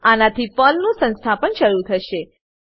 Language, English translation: Gujarati, This will start the installation of PERL